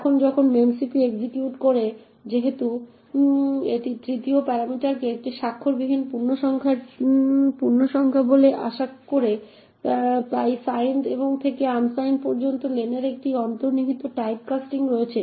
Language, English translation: Bengali, Now when memcpy executes since it expects the 3rd parameter to be an unsigned integer therefore there is an implicit type casting of len from signed to unsigned